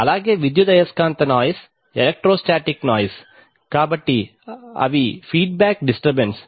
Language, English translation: Telugu, So electromagnetic noise, electrostatic noise, so they are the feedback disturbances